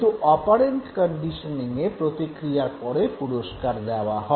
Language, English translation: Bengali, Whereas in the case of operant conditioning, reward always follows the response